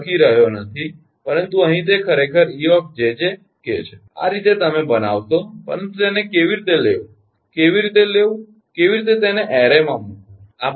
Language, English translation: Gujarati, here i am not writing, but here it is actually ejjk, this way you to make, but how to take it, how to take it, how to, how to put it in a array like what we will do